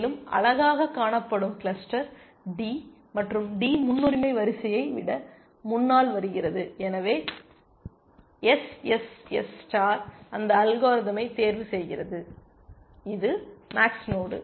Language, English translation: Tamil, And the best looking cluster is d, and d comes to ahead of the priority queue and so, SSS star picks that algorithm, it is a max node